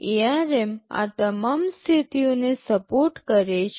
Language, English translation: Gujarati, ARM supports all these modes